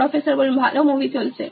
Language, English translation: Bengali, Good movies playing